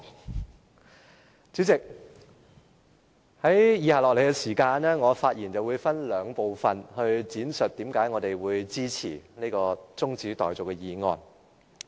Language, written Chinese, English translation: Cantonese, 代理主席，接下來我的發言會分為兩部分，闡述為何我們會支持這項中止待續議案。, Deputy President I will divide the following part of my speech into two parts in an attempt to explain why I support the adjournment motion